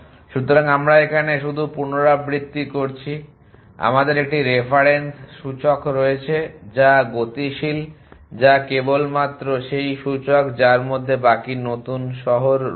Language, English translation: Bengali, So, just repeat what we are doing here is that we have a reference index which is dynamic which is only the index which have the new cities the remaining cities